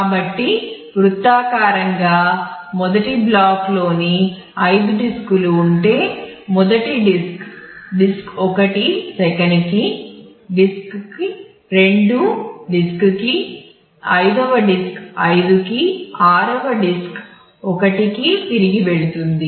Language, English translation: Telugu, So, circularly so, the first goes if you have say five disks in the first block goes to disk one second to disk two fifth to disk 5 and the 6th again back to disk 1